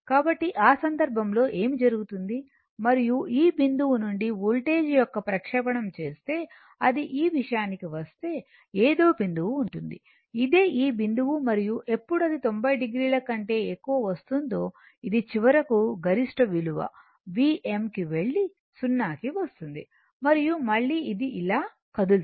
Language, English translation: Telugu, So, in that case what will happen, and if you make the projection of the voltage from this point, it is some point will be there when it is coming to this one, this is the your what you call this point, and when will come to more than 90 degree it is a peak value V m finally, it will go and come to 0 and again it will move like this